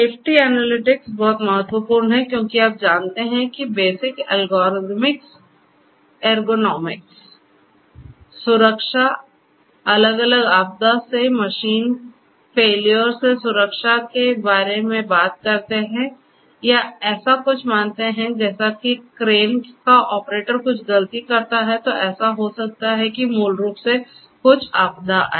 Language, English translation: Hindi, Safety analytics is very important because you know talking about plain bare basic ergonomics safety to safety from different disasters machine failures you know or consider something like you know if the operator of a crane you know makes certain mistake what might so happen is basically there might be some disasters you know underneath